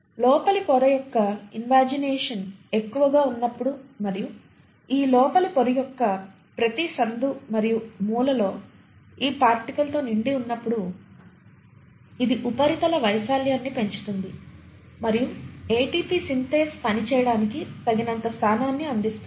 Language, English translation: Telugu, And you find that when you have so much of invagination of the inner membrane and every nook and corner of this inner membrane gets studded by this particle, it increases the surface area and it provides sufficient positioning of this ATP Synthase to work